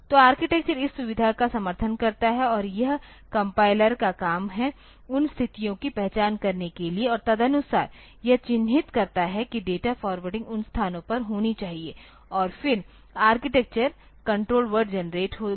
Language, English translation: Hindi, So, the architecture supports this facility and it is the compilers job to identify those situations and accordingly mark that the data forwarding should take place at those places and then the architecture will be the control words will be generated